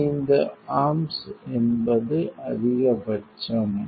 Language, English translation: Tamil, So, 25 amps is a max